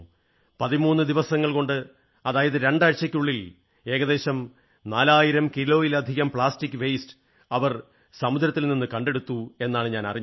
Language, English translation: Malayalam, And I am told that just within 13 days ie 2 weeks, they have removed more than 4000kg of plastic waste from the sea